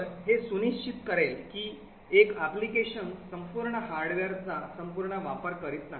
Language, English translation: Marathi, So, it will ensure that one application does not utilise the entire hardware all the time